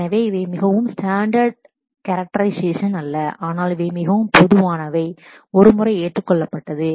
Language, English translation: Tamil, So, these are not any very standardized characterization, but these are more commonly accepted once